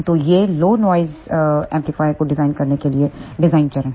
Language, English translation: Hindi, So, these are the design steps for designing a low noise amplifier